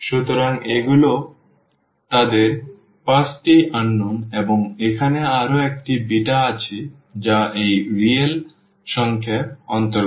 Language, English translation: Bengali, So, these are their 5 unknowns and there is another beta here is sitting which belongs to this real number